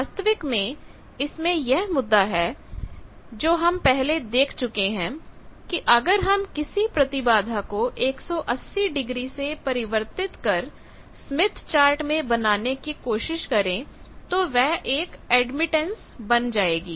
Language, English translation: Hindi, The point is actually we have already seen that if we reflect any impedance point 180 degree in the smith chart we get an admittance point